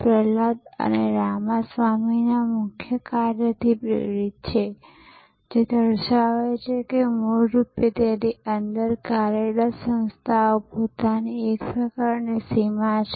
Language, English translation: Gujarati, Prahalad and Ramaswamy, which pointed out that originally organizations operated within it is own sort of boundary